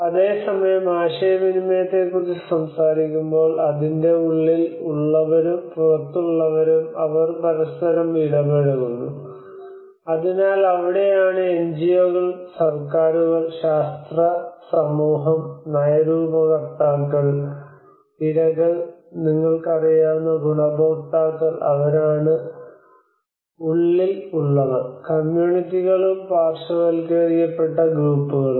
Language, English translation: Malayalam, Whereas a dialogue when we talk about the communication part of it read inside actors outside actors actually they interface with each other, so that is where the NGOs the governments, the scientific community the policymakers and also the victims, the beneficiaries you know who are the inside actors the communities and the marginalized groups